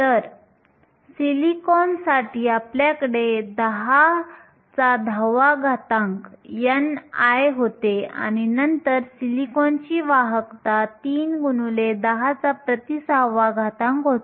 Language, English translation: Marathi, So, for silicon we had n i to be 10 to the 10 and then we had the conductivity for silicon to be 3 times 10 to the minus 6